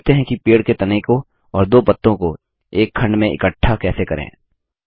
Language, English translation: Hindi, Let learn how to group the tree trunk and two leavesinto a single unit